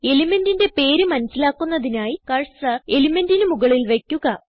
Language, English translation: Malayalam, To get the name of the element, place the cursor on the element